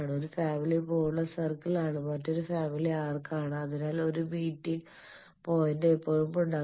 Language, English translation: Malayalam, One family is full circle another family is arc, so there will be always a meeting point that is the impedance